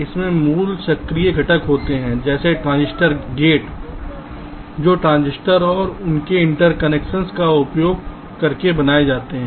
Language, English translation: Hindi, it contains the basic active components like the transistors, the gates which are built using transistors and their interconnections